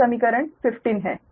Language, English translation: Hindi, this is equation fifteen